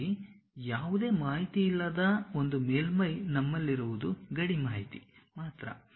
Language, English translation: Kannada, A surface inside of that which we do not have any information, what we have is only the boundary information's we have